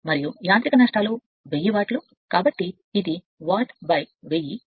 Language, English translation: Telugu, And 1000 watt for mechanical losses right, so this is watt divided by 1000